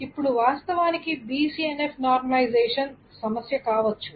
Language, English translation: Telugu, Now the process of BCNF normalization may be actually a problem